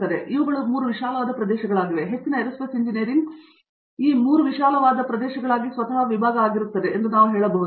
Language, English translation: Kannada, So, these are the 3 broad areas we can say that most Aerospace Engineering gets itself slotted into